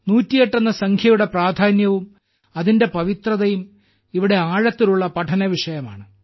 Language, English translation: Malayalam, For us the importance of the number 108 and its sanctity is a subject of deep study